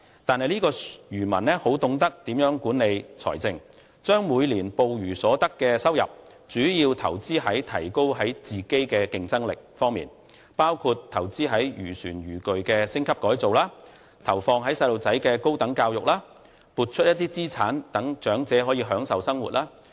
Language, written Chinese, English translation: Cantonese, 但是，這名漁民很懂得如何管理財政，將每年捕魚所得收入主要投資於提高自身的競爭力方面，包括投資於漁船漁具的升級改造，投放於孩子的高等教育，撥出部分資產讓長者可以享受生活。, But this fisherman knows how to manage his wealth . He spends his yearly income generated from his catch on strengthening his competitiveness such as on upgrading his fishing vessel and gears and on his children by letting them receive higher education . He also allocates part of his assets on the elderly members so that they can enjoy life